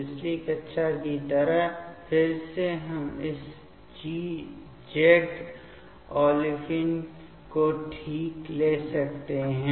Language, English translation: Hindi, Like previous class again we can take this Z olefine ok